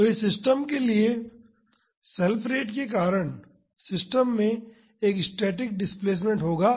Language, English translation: Hindi, So, for this system because of the self rate the system will have a static displacement